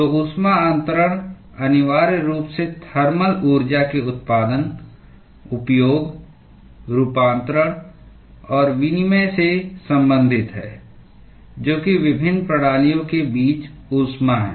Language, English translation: Hindi, So, heat transfer essentially concerns generation, use, conversion and exchange of thermal energy that is heat between different systems